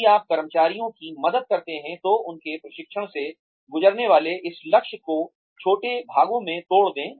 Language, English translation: Hindi, If you help the employees, break up this goal, of going through their training, into smaller parts